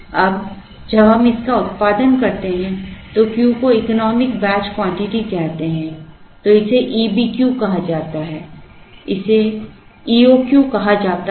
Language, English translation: Hindi, Now, when we produce this Q is called economic batch quantity, it is called E B Q it was called E O Q later